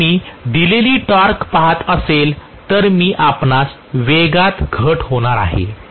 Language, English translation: Marathi, If I am looking at a given torque I will have you know drop in the speed